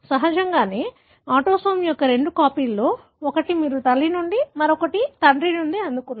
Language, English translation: Telugu, Obviously, of the two copies of autosome, one you received from mother, the other one from father